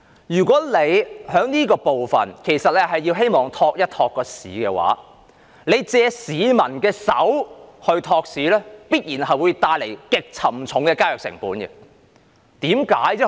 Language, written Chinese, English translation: Cantonese, 如果政府是想借此措施托市、借市民的手托市，必然會帶來極沉重的交易成本。, If this government initiative is intended to prop up the market through the hands of the masses it would involve considerable transaction costs